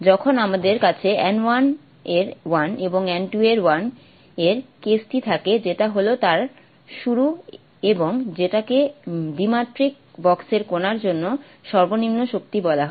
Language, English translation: Bengali, When we have n1 is 1 and n2 is 1 when we have that case which is the starting point what is called the lowest energy for the particle in the two dimensional box